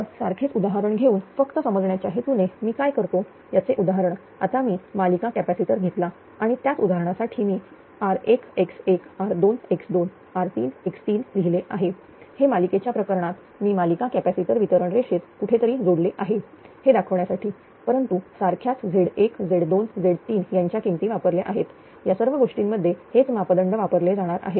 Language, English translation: Marathi, Now with for the same example just for the purpose of your understanding, what I will do for the same example I have taken a series capacitor also and in the case of series with the same example I have written r 1, x1, r 2, x 2, r 3, x 3 just to show that series capacitors somewhere in distribution line connected, but same Z 1, Z 2, Z 3 value will be used identical thing